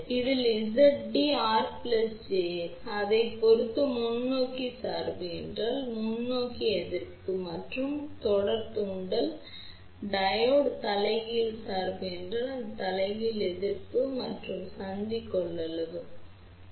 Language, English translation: Tamil, Now, depending upon, if it is forward bias then this will be forward resistance plus series inductance, if the Diode is reverse bias, then this will be a reverse resistance plus the junction capacitance ok